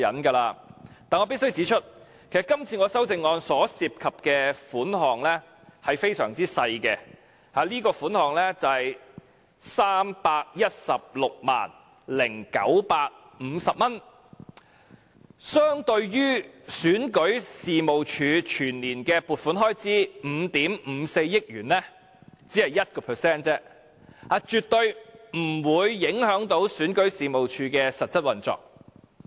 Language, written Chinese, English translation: Cantonese, 但是，我必須指出，這項修正案涉及的款項非常少，只是 3,160,950 元，相對於選舉事務處全年的撥款開支5億 5,400 萬元，只是 1% 而已，絕對不會影響選舉事務處的實質運作。, I must point out that this amendment only involves a very small amount of money or 3,160,950 to be exact . This only accounts for 1 % of the annual estimate earmarked for REO which is 554 million . This amount of money will definitely not affect the actual operation of REO